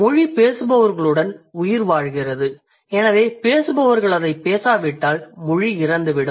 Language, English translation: Tamil, So, if the speakers are not going to speak it, the language is going to die